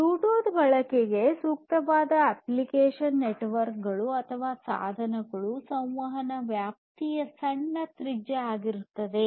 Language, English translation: Kannada, Application where Bluetooth is suitable for use are networks or devices which will have smaller radius of small communication range